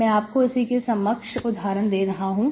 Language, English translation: Hindi, I can give you equivalently like this